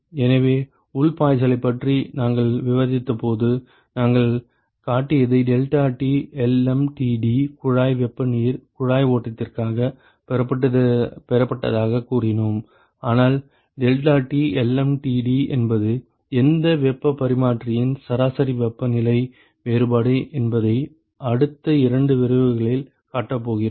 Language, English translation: Tamil, So, what we showed when we discussed internal flows we said deltaT LMTD we derived it for pipe heat you pipe flow, but we are going to show in the next couple of lectures that deltaT LMTD is the representative log mean temperature difference for any heat exchanger